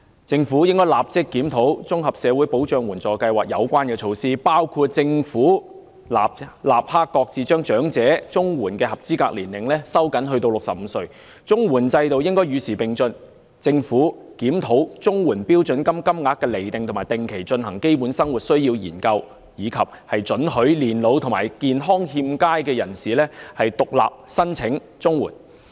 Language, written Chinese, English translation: Cantonese, 政府應立即檢討綜合社會保障援助計劃的相關措施，包括政府應立即擱置將領取長者綜援的合資格年齡收緊至65歲；綜援制度應與時並進，政府應檢討綜援標準金額，並定期進行基本生活需要研究，以及准許年老及健康欠佳的人士獨立申請綜援。, The Government should immediately conduct a review of the relevant measures regarding the Comprehensive Social Security Assistance CSSA Scheme including that the Government should immediately shelve the tightening of the eligibility age for elderly CSSA to 65 the CSSA system should be kept abreast of the times the Government should review the CSSA standard rates and conduct studies on the basic needs of living regularly as well as allowing elderly people and those in ill health to apply for CSSA on an individual basis